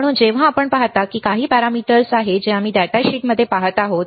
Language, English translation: Marathi, So, when you see these are the some of the parameter that we are looking at in the datasheet